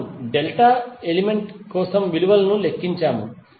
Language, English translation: Telugu, We just calculated the value of value for delta element